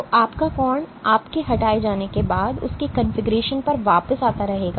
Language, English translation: Hindi, So, your angle will keep coming back to the same configuration after you remove